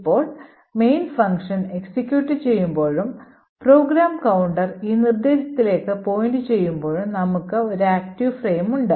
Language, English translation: Malayalam, Now when the main function is executing and the program counter is pointing to this particular instruction, then we have this thing as the active frames